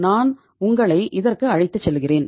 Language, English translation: Tamil, I will take you to this